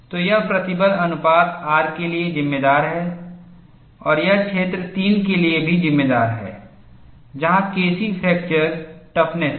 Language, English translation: Hindi, So, this accounts for the stress ratio R and it also accounts for the region 3, where K c is the fracture toughness